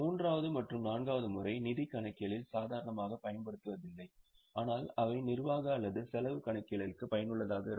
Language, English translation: Tamil, The third and fourth method are not used normally in financial accounting but they will be useful for managerial or for cost accounting